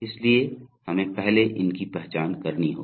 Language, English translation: Hindi, So we have to first identify these